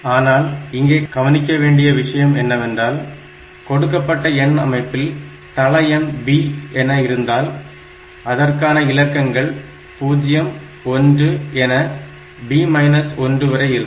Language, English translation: Tamil, So, that can be done, but something to be noted is that, if the base of the number system is b then the digits that we have must be 0, 1 like this up to b minus 1